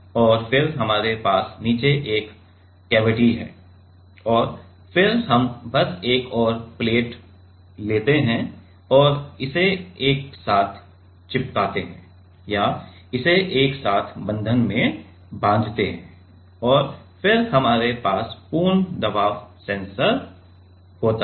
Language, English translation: Hindi, And then we have a cavity at the bottom and then we just take another plate and stick it together or clamp it together bond by bonding and then we have the full pressure sensor